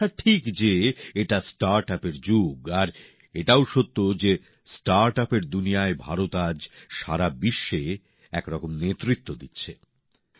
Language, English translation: Bengali, It is true, this is the era of startup, and it is also true that in the world of startup, India is leading in a way in the world today